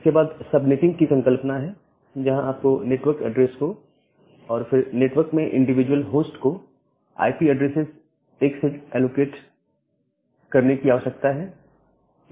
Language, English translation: Hindi, Then you have this sub netting concept, where you need to allocate a set of IP addresses to the network address and then, individual host in the network